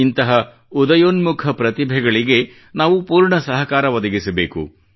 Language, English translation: Kannada, We have to fully help such emerging talents